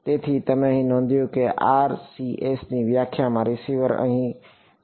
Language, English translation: Gujarati, So, you notice that in the definition of the RCS the angle at which the receiver is here